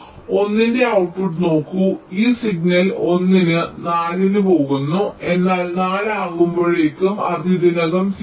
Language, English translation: Malayalam, this, this signal is going one at four, but by four it is already at zero